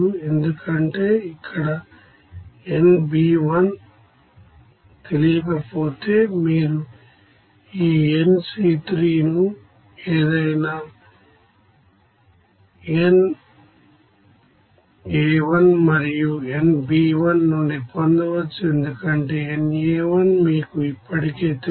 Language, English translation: Telugu, Because if it is unknown here nB1 then you can obtain this nC1 from this any nA1 and nB1 because nA1 is already known to you